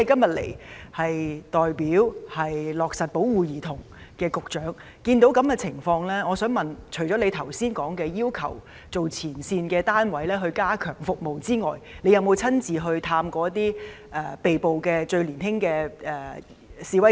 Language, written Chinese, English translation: Cantonese, 局長是負責落實保護兒童政策的官員，目睹這種情況，除剛才提到要求前線單位加強提供服務之外，我想問他有否親自探訪年紀最小的被捕示威者？, As the Bureau Director responsible for implementing the policy on protection of children and in the face of such a situation I would like to ask the Secretary Apart from asking frontline units to enhance provision of services as mentioned just now has he personally met with the youngest protesters arrested?